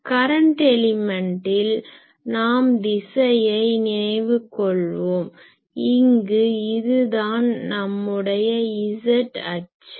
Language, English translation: Tamil, In case of current element, if you recall in case of current element the direction so, if we are here this is our z axis